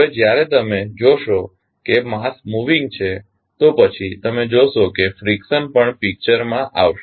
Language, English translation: Gujarati, Now, there when you see that mass moving then you will see the friction also coming into the picture